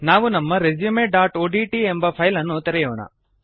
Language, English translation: Kannada, We shall open our resume.odt file